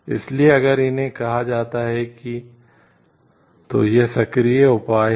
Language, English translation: Hindi, So, if these are called like the these are the proactive measures